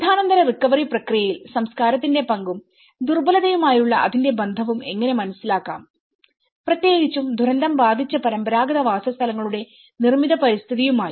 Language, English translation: Malayalam, How to understand the role of culture in the post disaster recovery process and its relation to the vulnerability, especially, in particular to the built environment of affected traditional settlements